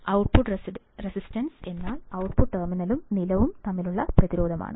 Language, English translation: Malayalam, Output resistance, is the resistance between the output terminal and ground